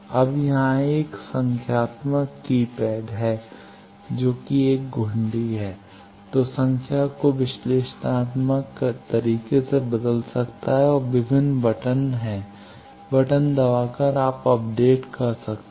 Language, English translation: Hindi, Now, there is a numeric keypad here then there is 1 nob, which can change the analytical analog way of changing the values and there are various buttons, by pressing buttons you can update